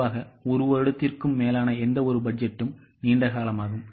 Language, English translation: Tamil, Typically any budget which is for more than one year is long term